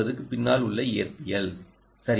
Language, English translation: Tamil, lets get the physics right